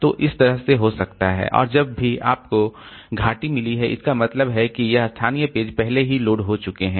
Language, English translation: Hindi, So, that way we can have and whenever we have got valley, that means this local pages have already been loaded, so they are in the same working set